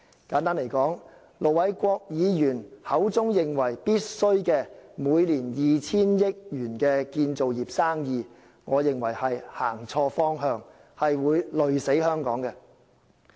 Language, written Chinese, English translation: Cantonese, 簡單而言，盧偉國議員認為建造業的工程費每年須達 2,000 億元，我認為方向錯誤，會累死香港。, In short Ir Dr LO Wai - kwok is of the view that the annual project costs for the construction industry must reach 200 billion . I think this direction is wrong and will get Hong Kong into great trouble